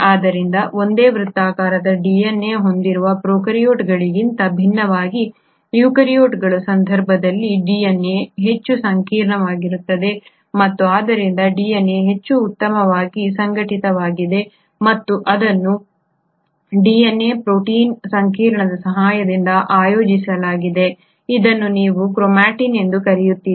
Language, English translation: Kannada, So unlike prokaryotes which have single circular DNA, here in case of eukaryotes the DNA is much more complex and hence the DNA is much better organised and it is organised with the help of protein DNA complex which is what you call as the chromatin